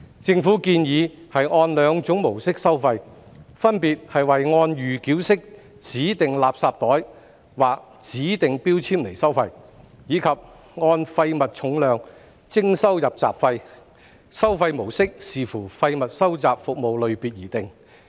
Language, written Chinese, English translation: Cantonese, 政府建議按兩種模式收費，分別為按預繳式指定垃圾袋或指定標籤收費，以及按廢物重量徵收"入閘費"，收費模式視乎廢物收集服務類別而定。, The Government has proposed that charges be levied through the dual modes of charging by pre - paid designated garbage bags or designated labels and charging by weight - based gate - fee . The charging mode will depend on the type of waste collection services